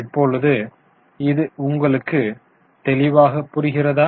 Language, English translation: Tamil, Is it clear to you